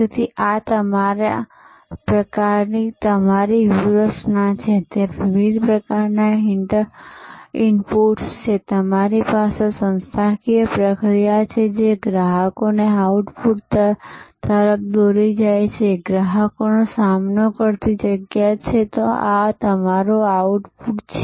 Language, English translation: Gujarati, So, this is your kind of your strategy, there are various kinds of inputs, you have the organizational process, which is leading to the output to the customers, this is the customer facing site, this is your output